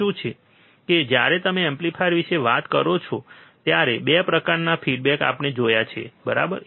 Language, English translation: Gujarati, That when you talk about amplifier there are 2 types of feedback we have seen, right